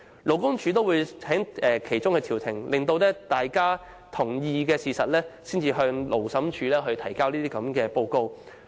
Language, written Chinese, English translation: Cantonese, 勞工處亦會從中調停，待僱傭雙方同意後，才向勞審處提交報告。, LD will also mediate the dispute and submit its report to the Labour Tribunal upon the agreement of the employer and the employee